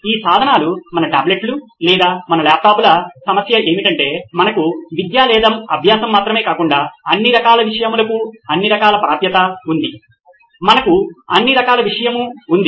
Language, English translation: Telugu, The problem with these tools, your tablets or your laptops is that you have all kinds of access to all kinds of content not just educational or learning, you have all kinds of content